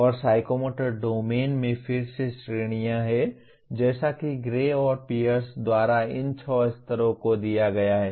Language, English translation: Hindi, And the Psychomotor Domain has categories again as given by Gray and Pierce these six levels